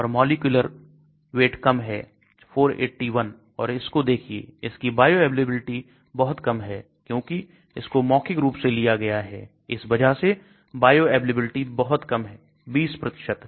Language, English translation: Hindi, And small molecular weight 481 and look at this it has got very low bioavailability because it is taken orally that is why the bioavailability is very low 20%